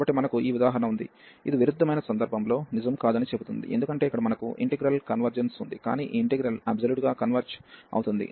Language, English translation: Telugu, So, we have this example, which says that the converse is not true, because here we have the convergence of the integral, but the integral does not converge absolutely